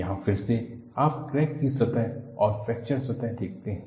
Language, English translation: Hindi, Here again, you see the crack surface and fracture surface